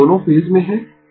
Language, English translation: Hindi, So, both are in the same phase